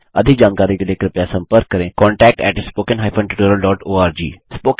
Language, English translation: Hindi, For more details, write to contact at spoken hypen tutorial dot org